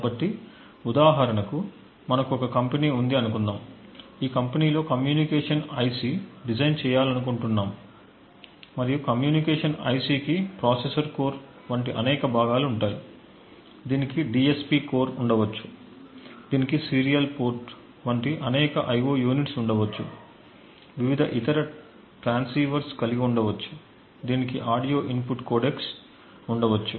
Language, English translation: Telugu, So for instance we have a company which wants to actually design say a communication IC and the communication IC would have several components like a processor core, it may have a DSP core, it may have several IO units like a serial port it, may have various other transceivers, it may have audio input codecs and so on